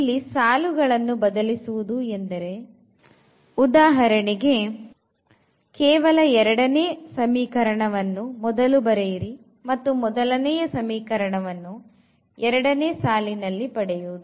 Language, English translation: Kannada, So, changing this row is nothing, but just the writing the second equation for example, at the first place and the first equation at the second place